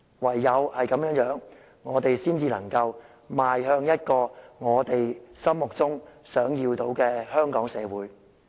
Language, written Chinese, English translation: Cantonese, 唯有這樣做，我們才能邁向心中想要的香港社會。, Only by doing so can we march towards the Hong Kong society we desire